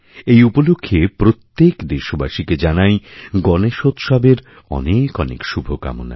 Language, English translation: Bengali, My heartiest greetings to all of you on the occasion of Ganeshotsav